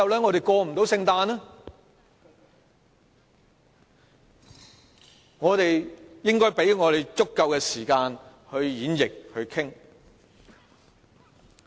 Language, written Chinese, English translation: Cantonese, 我們應該給自己足夠時間演繹和討論。, We should give ourselves sufficient time for interpreting and discussing the amendments